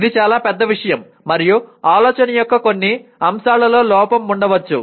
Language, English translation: Telugu, This is a very major thing and one maybe deficient in some aspects of thinking